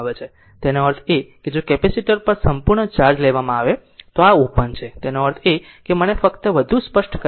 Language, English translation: Gujarati, That means, if capacitor is fully charged and this was is open, that means just let me make your thing clear